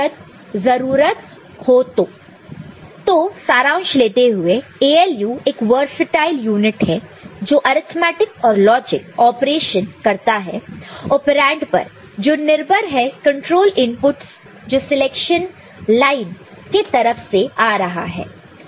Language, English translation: Hindi, So, to conclude we find that ALU is a versatile unit that can perform arithmetic and logic operation on operands according to control inputs which is coming through the selection lines